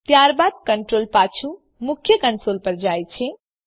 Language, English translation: Gujarati, Then the control jumps back to the Main function